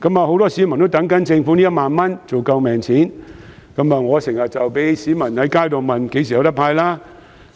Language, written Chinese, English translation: Cantonese, 很多市民在等政府這1萬元"救命錢"，我亦經常被市民問及何時"派錢"。, Many people are waiting for the life - saving 10,000 from the Government and they often ask me when the money will be disbursed